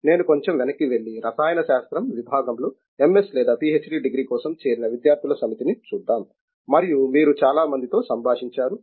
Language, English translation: Telugu, If I go back a little and let say look at the set of students who probably join a chemistry department for an MS degree or a PhD degree and so on, and you have interacted with a lot of them